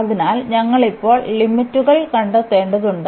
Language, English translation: Malayalam, So, we need to find the limits now